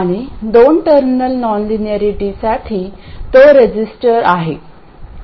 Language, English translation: Marathi, And for a two terminal non linearity that is a resistor